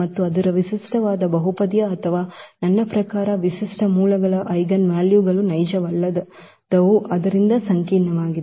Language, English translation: Kannada, And its characteristic polynomial or I mean the characteristic roots the eigenvalues were non real so the complex